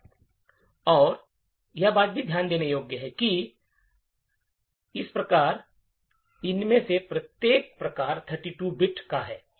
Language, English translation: Hindi, Another thing to note is that type, so each of these types is of 32 bit